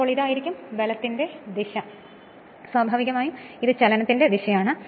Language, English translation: Malayalam, So, this is the direction of the force and naturally this is the direction of the motion right